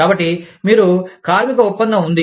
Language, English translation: Telugu, So, you have a labor contract